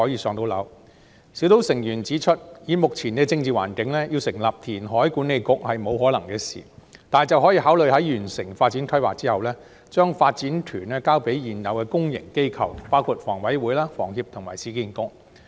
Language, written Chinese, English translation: Cantonese, 專責小組成員指出，以目前的政治環境，要成立填海管理局是不可能的事，但卻可以考慮在完成發展規劃後，把發展權交給現有的公營機構，包括香港房屋委員會、香港房屋協會及市區重建局。, This member of the Task Force states that given the current political environment it is impossible to set up a reclamation authority . Nevertheless we may consider handing the development right to existing public bodies such as the Hong Kong Housing Authority HA the Hong Kong Housing Society HS and Urban Renewal Authority URA upon the completion of development planning